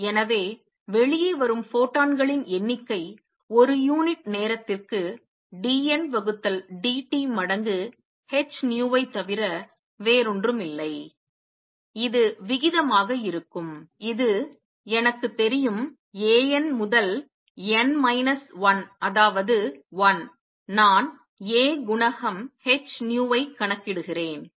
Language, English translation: Tamil, So, number of photons coming out would be nothing but d N by d t per unit time times h nu; that will be the rate and this I know is nothing but A n to n minus 1 that is 1, I am calculating the a coefficient h nu